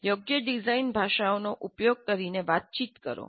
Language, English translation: Gujarati, Communicate using the appropriate design languages